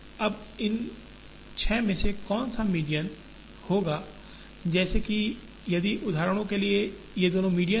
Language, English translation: Hindi, Now, which of these six will be medians such that if for example these two are the medians